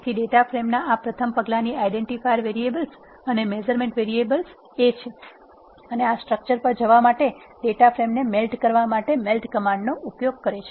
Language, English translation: Gujarati, So, this is the first step identifier variables and measurement variables of the data frame and uses the melt command to melt the data frame to get to this structure